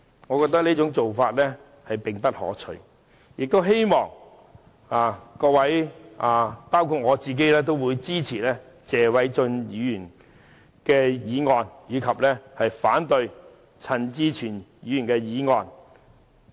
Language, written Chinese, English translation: Cantonese, 我認為這做法並不可取，也希望各位——包括我自己——支持謝偉俊議員的議案，並反對陳志全議員提出的議案。, I think this approach is inappropriate . I hope Members will support Mr Paul TSEs motion but oppose Mr CHAN Chi - chuens motion and I will support the former motion too